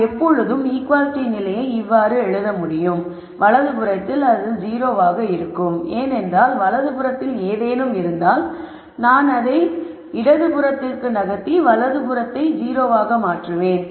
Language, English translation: Tamil, Notice that we can always write the equality condition in this form where I have 0 on the right hand side because if you have something on the right hand side I simply move it to the left hand side and get a 0 on the right hand side